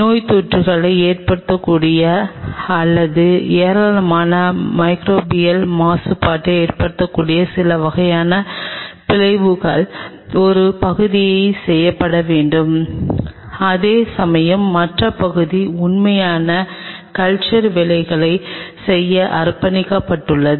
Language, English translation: Tamil, The part one where some of the kind of dissections which may cause infections or which may cause a lot of microbial contamination should be done in one part whereas, the other part is dedicated for doing the real culture work